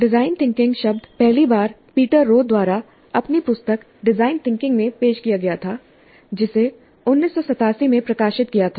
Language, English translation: Hindi, The term design thinking was first introduced by Peter Rewe in his book titled Design Thinking, which was published in 1987